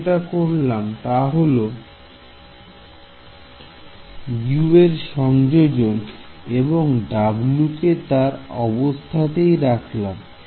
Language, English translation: Bengali, So, all I have done is substitute U and I have put kept w as w ok